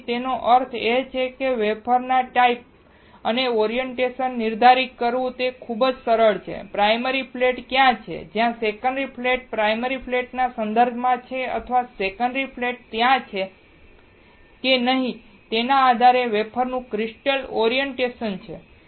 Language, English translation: Gujarati, So, that means that it is very easy to identify the type of the wafer and the orientation; crystal orientation of the wafer depending on where the primary flat is and where the secondary flat is with respect to primary flat or whether secondary flat is there or not